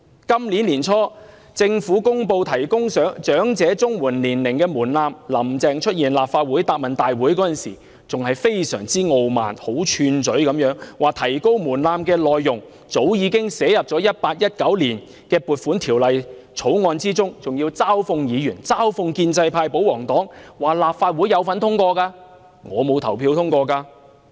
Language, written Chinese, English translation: Cantonese, 今年年初，政府公布提高長者綜援申請年齡的門檻，"林鄭"出席立法會行政長官答問會時，非常傲慢並囂張地指出，提高門檻的內容早已寫入《2018年撥款條例草案》，還嘲諷議員、嘲諷建制派和保皇黨，指他們也有份在立法會投票支持通過——我沒有投票支持通過。, Early this year the Government announced raising the age threshold for Comprehensive Social Security Assistance for the elderly . When Carrie LAM attended the Chief Executives Question and Answer Session at the Legislative Council she was extremely arrogant and supercilious stating that the content of raising the threshold had already been included in the Appropriation Bill 2018 . She mocked Members Members from the pro - establishment camp and the pro - government camp that they had voted for the passage of the Bill in the Legislative Council―I did not vote for the passage of that Bill